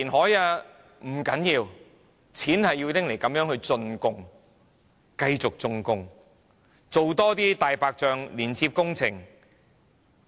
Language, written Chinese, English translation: Cantonese, 不要緊，我們的錢是要拿來這樣進貢的，繼續進貢，多做"大白象"工程。, It doesnt matter as our money is supposed to be surrendered or will continue to be surrendered to more white elephant projects